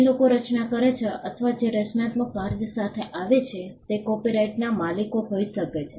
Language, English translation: Gujarati, People who create or who come up with creative work can be the owners of copyright